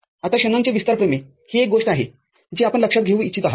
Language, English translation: Marathi, Now, Shanon’s expansion theorem is something which you would like to take note of